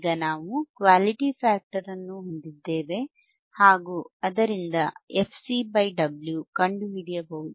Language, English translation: Kannada, Now, we have Quality factor Quality factor, we can find f C by W;